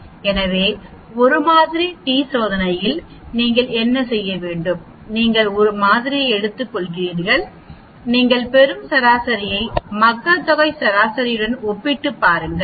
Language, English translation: Tamil, So, in 1 sample t test what to you do is, you take a sample and the mean which you get compare it with the population mean and you find out whether this sample mean comes from this population or not